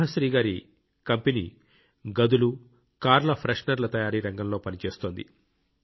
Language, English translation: Telugu, Subhashree ji's company is working in the field of herbal room and car fresheners